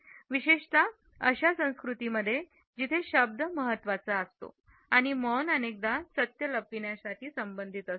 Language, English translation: Marathi, Particularly in those cultures where words are important silence is often related with the concealment of truth passing on a fib